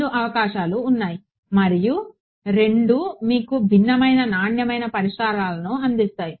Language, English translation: Telugu, Both possibilities exist and both will give you different quality of solutions ok